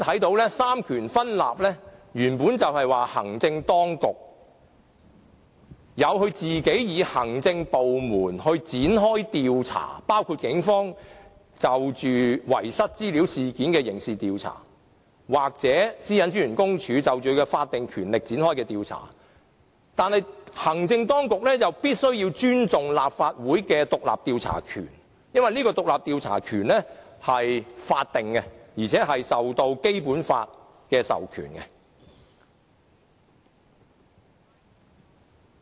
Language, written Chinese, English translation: Cantonese, 在三權分立下，行政當局可以讓其行政部門展開調查，包括警方就遺失資料事件作刑事調查或公署根據其法定權力展開調查，但行政當局必須要尊重立法會的獨立調查權，因為這獨立調查權是法定的，而且受到《基本法》的授權。, Under separation of powers the executive authorities can allow their administrative departments to carry out investigations including the Police which can launch a criminal investigation into the data loss incident and PCPD which can conduct an investigation in accordance with its statutory power . However the Executive Authorities must respect the Legislative Councils power to launch its independent investigation because this power of conducting independent investigation is statutory and authorized by the Basic Law